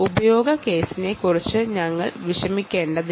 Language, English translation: Malayalam, we will not worry about the use case